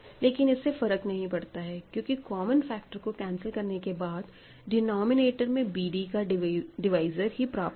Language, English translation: Hindi, But does not matter because, if you cancel the common factors, what you will get in the denominator is something which is the divisor of b d